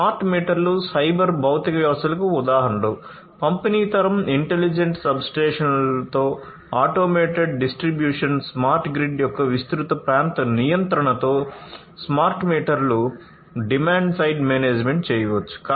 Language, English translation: Telugu, Smart meters are examples of cyber physical systems smart meters can do demand side management with distributed generation, automated distribution with intelligent substations, wide area control of smart grid